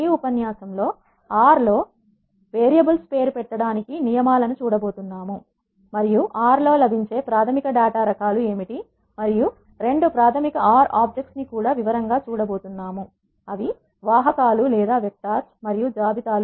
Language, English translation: Telugu, In this lecture we are going to see the rules for naming the variables in R and what are the basic data types that are available in R and we are also going to see two basic R objects; vectors and lists, in detail